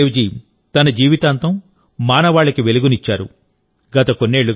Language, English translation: Telugu, Throughout his life, Guru Nanak Dev Ji spread light for the sake of humanity